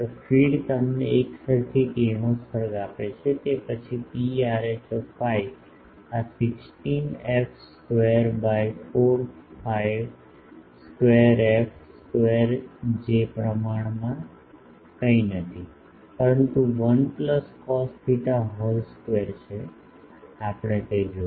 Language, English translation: Gujarati, The feed giving you uniform radiation then P rho phi will be proportional to this 16 f square by 4 phi square f square which is nothing, but 1 plus cos theta whole square, we will see that